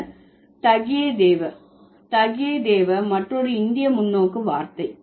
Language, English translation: Tamil, That's Tagie Deva is another Indian perspective word